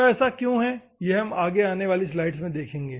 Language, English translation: Hindi, Why we will see it upcoming slide